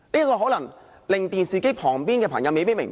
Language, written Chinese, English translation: Cantonese, 這可能令電視機旁的朋友不明白。, People watching the television may find this argument confusing